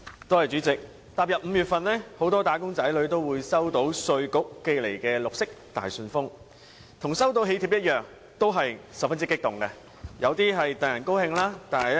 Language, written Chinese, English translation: Cantonese, 代理主席，踏入5月份，很多"打工仔女"都會收到稅務局寄來的綠色大信封，與收到囍帖一樣，都會十分激動。, Deputy President it is now May and many wage earners are going to receive the green envelope from the Inland Revenue Department . When they receive it they are bound to be as emotional as when they receive a wedding invitation